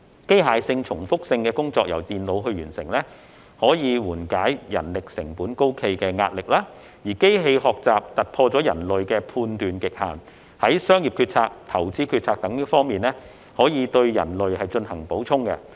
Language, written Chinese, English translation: Cantonese, 機械性、重複性工作由電腦完成，可緩解人力成本高企的壓力，而機器學習突破人類的判斷極限，在商業決策、投資決策等方面對人類進行補充。, Mechanical and repetitive tasks performed by computers can alleviate the pressure of high manpower costs while machine learning breaks through the limits of human judgment and complements humans in business decisions and investment decisions